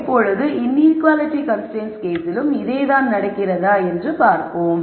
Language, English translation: Tamil, Now we will see whether the same thing happens in the case of inequality constraints